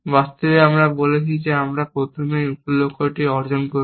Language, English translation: Bengali, In effect, we are saying, we will first achieve one sub goal